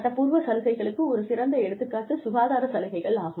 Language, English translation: Tamil, One very good example of legally required benefits is health benefits